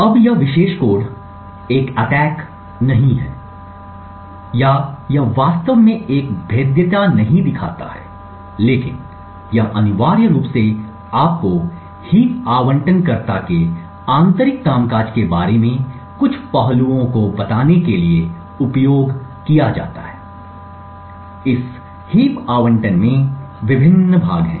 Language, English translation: Hindi, Now this particular code again it is not an attack or it does not actually show a vulnerability, but it is essentially used to tell you the some aspects about the internal workings of the heap allocator, there are various parts in this heap allocator